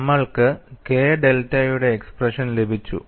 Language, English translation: Malayalam, So, this will help me to get an expression for delta